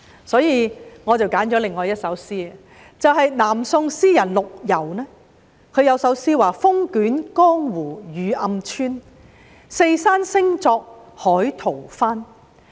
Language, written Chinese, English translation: Cantonese, 因此，我選了另一首南宋詩人陸游的詩句，"風卷江湖雨暗村，四山聲作海濤翻"。, This time I have chosen to read the lines of another poem by LU You of the Southern Song Dynasty Strong wind whipped up the rain and darkened the village; heavy rain hit the surrounding hills and roared like angry waves